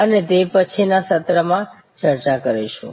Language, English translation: Gujarati, We will discuss that at a subsequent session